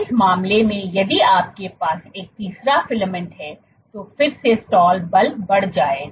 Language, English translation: Hindi, In this case if you have a third filament which forms then again the stall force will increase